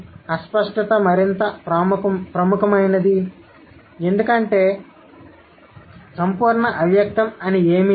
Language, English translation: Telugu, The explicitness is more prominent because there is nothing called absolute implicit